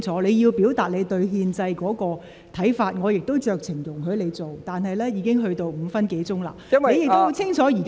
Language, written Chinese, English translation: Cantonese, 你要表達你對憲制的看法，我也酌情容許你這樣做，但你就此課題已用了超過5分鐘發言。, I exercised discretion to allow you to express your views on the constitutional system as you wish but you have spoken for more than five minutes on this topic